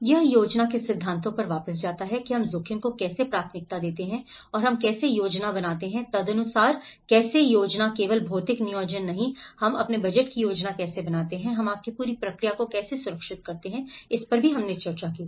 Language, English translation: Hindi, It goes back to the planning principles of how we prioritize the risk and how we plan accordingly, how plan in the sense is not only the physical planning, how we plan our budgets, how we secure the whole process you know, that is how we have discussed